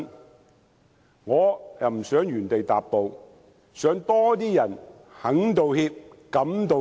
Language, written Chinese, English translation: Cantonese, 但是，我不想原地踏步，想有更多人肯道歉，敢道歉。, Nevertheless I do not want the city to remain stagnant in this aspect and I would like to see more people willing and daring to make apologies